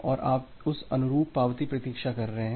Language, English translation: Hindi, So, you are waiting for the corresponding acknowledgement